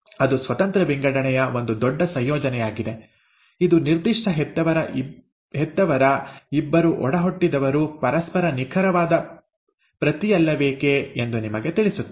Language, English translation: Kannada, Now that is a huge combination of independent assortment, which further tells you why two different, two siblings of a given parents are not exact copy of each other